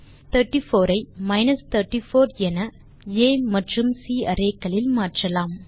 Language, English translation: Tamil, We shall change 34 to minus 34 in both A and C